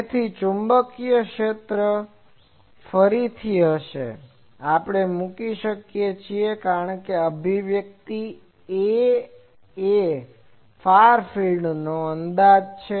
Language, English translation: Gujarati, So, magnetic field will be again, we can put because that expression A is there far field approximation